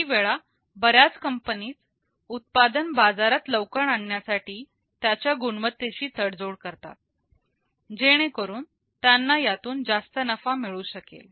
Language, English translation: Marathi, Sometimes many companies compromise on the quality of product in order to bring the product to the market earlier, so that they can reap greater profit out of it